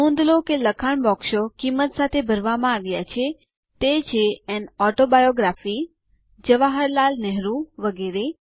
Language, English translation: Gujarati, Notice that the text boxes are filled with values, that read An autobiography, Jawaharlal Nehru etc